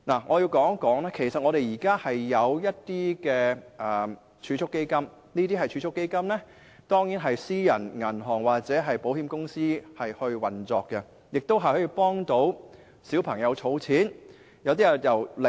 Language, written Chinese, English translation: Cantonese, 我要指出的是其實香港現時有提供一些儲蓄基金，它們當然是由私人銀行或保險公司運作，亦可為小朋友儲蓄。, What I wish to point out is that some savings funds are currently available in Hong Kong . They are certainly operated by private banks or insurance companies which can also make savings for children